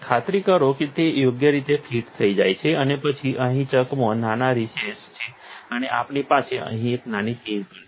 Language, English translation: Gujarati, Make sure that its fits correctly and then a chuck here has a small recess and we also have a small pin down here